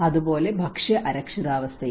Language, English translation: Malayalam, And similarly the food insecurity